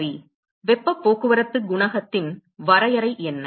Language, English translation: Tamil, But how do we find heat transport coefficient